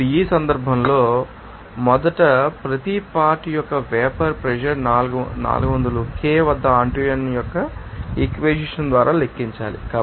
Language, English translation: Telugu, Now, in this case first of all you have to calculate vapor pressure of each component at 400 K by Antoine’s equation